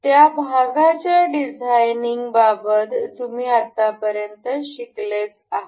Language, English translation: Marathi, You may have learned up till now regarding designing of the parts